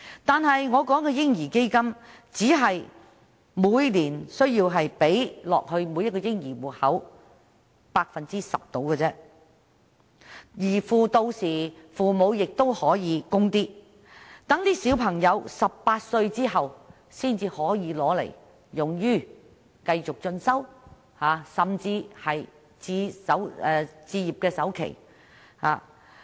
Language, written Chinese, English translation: Cantonese, 在我建議的"嬰兒基金"下，每年只需將上述金額約十分之一存入每個嬰兒戶口，父母也可以再作供款，待小孩子18歲後可將款項用作繼續進修，甚至是置業的首期。, But the baby fund I proposed merely requires the deposit of around one tenth of the said sum into every baby account every year and parents may also make contributions . When their children reach the age of 18 the sum can be used for further studies or even as down payment for acquiring a property